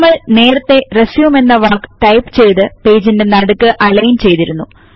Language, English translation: Malayalam, We had previously typed the word RESUME and aligned it to the center of the page